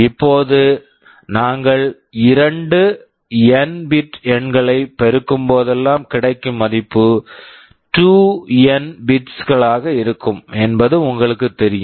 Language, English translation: Tamil, Now, you know whenever we multiply two n bit numbers the result can be 2n bits